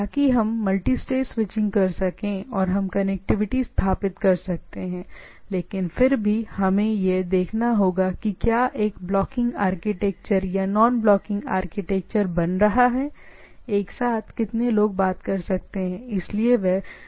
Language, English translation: Hindi, So that we can have multi stage switching and then I can have a, we can established here established connectivity into the things, but this still the then we have to looked at to whether it is a becoming a blocking architecture or nonblocking architecture, how many can simultaneously talk each other and type of things